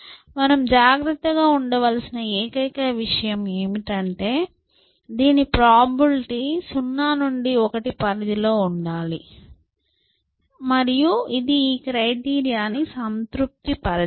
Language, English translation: Telugu, The only thing you have to be careful is that, this being probability it should come in the range 0 to 1 and it should satisfy this criteria that the larger this is